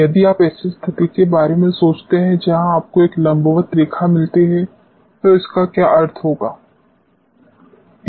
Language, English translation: Hindi, If you think of a situation where you get a vertical line, what will be meaning of that